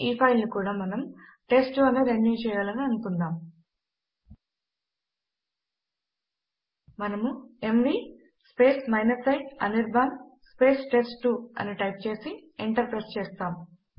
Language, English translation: Telugu, This file we also want to renew as test2 We will type mv i anirban test2 and press enter